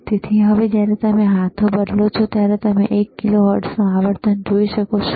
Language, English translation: Gujarati, So, when you when you change the knob, what you are able to see is you are able to see the one kilohertz frequency